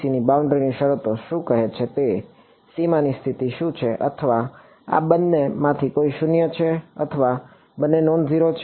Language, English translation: Gujarati, So, what are the boundary conditions what do boundary conditions for PEC say or any of these two guys zero or both are nonzero